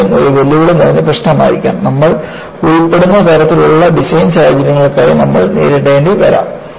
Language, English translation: Malayalam, Buckling could be equally a challenging problem that, you may have to deal with for the kind of design scenario, you are involved with